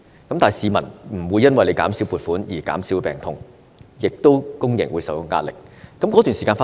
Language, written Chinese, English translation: Cantonese, 但是，市民不會因為政府減少撥款而減少病痛，公營醫療亦受到壓力。, However the illnesses of the public will not be reduced due to decreased funding from the Government thus imposing pressure on public healthcare